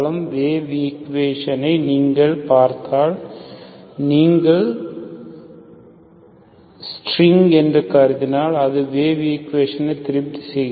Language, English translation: Tamil, Wave equation if you look at, if you consider string, string if you consider, that satisfies the wave equation